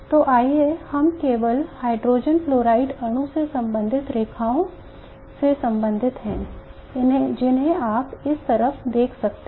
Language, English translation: Hindi, So let us only concern ourselves with the lines corresponding to the lithium fluoride molecule which you can see on this side